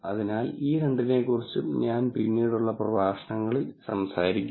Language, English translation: Malayalam, So, I will talk about both of these, in later lectures